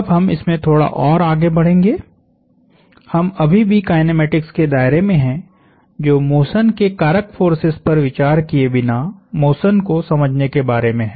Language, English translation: Hindi, We will switch one more gear; we are still in the realm of kinematics which is understanding motion without considering the forces that cause that motion